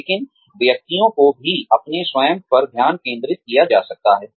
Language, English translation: Hindi, But, individuals could also be focusing on their own selves